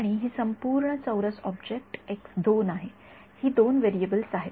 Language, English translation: Marathi, And this entire square object is x 2 those are the two variables